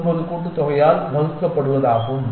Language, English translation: Tamil, 14 this divided by the sum is 0